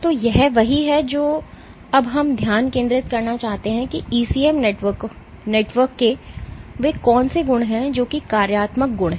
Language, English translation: Hindi, So, this is what we want to focus now as to what are those attributes of an ECM network which dictates is functional properties